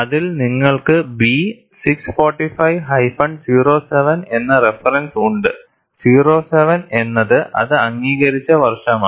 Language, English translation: Malayalam, And in that, you have a reference to B 645 07, 07 is the year in which it is approved